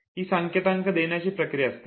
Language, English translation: Marathi, So, this is the process of encoding